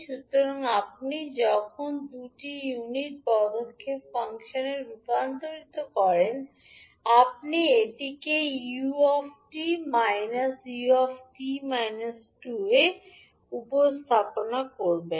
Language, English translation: Bengali, So when you convert Is into two unit step functions you will represent it like u t minus u t minus two because it is delayed by two seconds